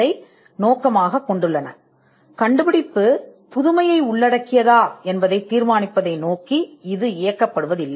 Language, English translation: Tamil, It is not directed towards determining whether an invention involves novelty